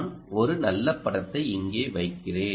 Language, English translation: Tamil, i will put one nice picture here